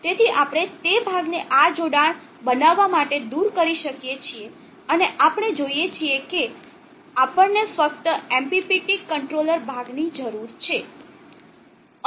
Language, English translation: Gujarati, So we can remove that portion make this connection and we see that, we just need MPPT controller portion